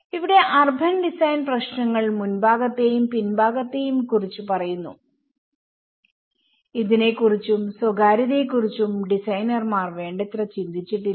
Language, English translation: Malayalam, Here, the urban design issues talks about the fronts and backs you know how it is not sufficiently thought by the designers and a sense of privacy